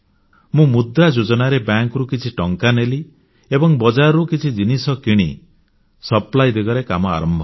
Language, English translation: Odia, She got some money from the bank, under the 'Mudra' Scheme and commenced working towards procuring some items from the market for sale